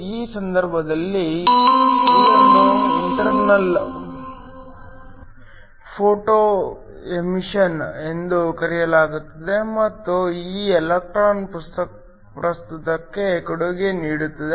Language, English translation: Kannada, In this case, it is called Internal Photoemission and this electron can contribute to the current